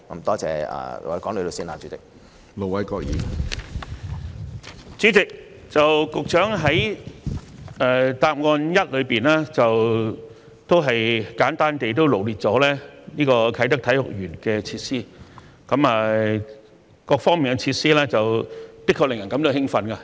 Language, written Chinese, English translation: Cantonese, 主席，局長已在主體答覆第一部分，簡單臚列啟德體育園的設施，各方面設施的確令人感到興奮。, President the Secretary has briefly listed out the facilities of the Sports Park in part 1 of the main reply . It is indeed very exciting to learn about these facilities